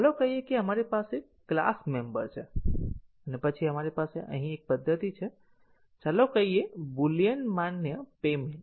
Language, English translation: Gujarati, Let say, we have a class member and then we have a method here, let say Boolean validate payment